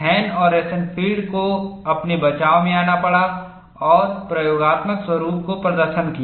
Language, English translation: Hindi, Hahn and Rosenfield had to come to his rescue and demonstrated the experimental patterns